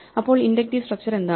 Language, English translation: Malayalam, So, what is the inductive structure